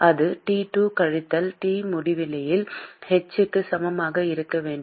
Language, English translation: Tamil, And that should be equal to h into T2 minus T infinity